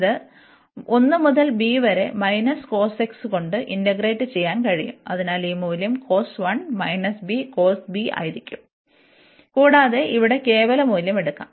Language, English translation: Malayalam, And this we know now that we can integrate this with minus cos x and then 1 to b, so this value will be cos 1 and minus b cos b, and we can take that absolute value there